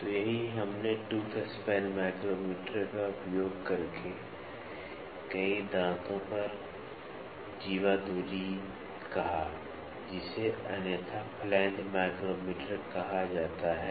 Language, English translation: Hindi, So, that is what we said chordal distance over a number of teeth by using a tooth span micrometer, which is otherwise called as flange micrometer